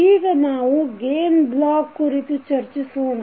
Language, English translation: Kannada, Now, let us talk about the Gain Block